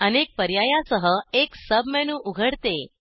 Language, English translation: Marathi, A sub menu opens with many options